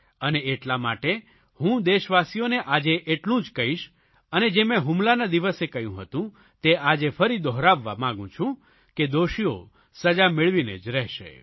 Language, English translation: Gujarati, And, therefore, I will just reiterate to you, my countrymen, what I had said that very day, that the guilty will certainly be punished